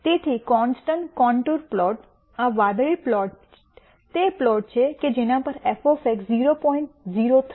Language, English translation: Gujarati, So, the constant contour plot, this blue plot, is the plot at which f of X will take a value 0